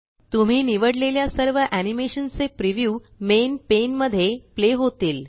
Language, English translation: Marathi, The preview of all the animation you selected will now play on the Main pane